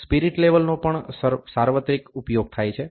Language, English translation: Gujarati, The spirit levels are also universally used